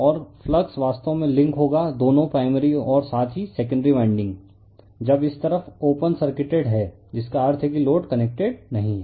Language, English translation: Hindi, And we and the flux we will link actually both the primary as well as the secondary winding when this side is your what you call open circuited right that means load is not connected